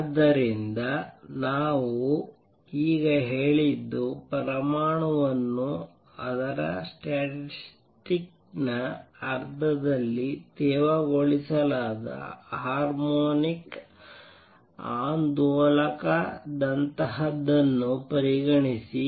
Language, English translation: Kannada, So, what we have just said is that consider an atom like a damped harmonic oscillator in its statistical sense